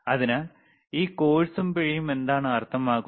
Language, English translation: Malayalam, So, what does this course and fine means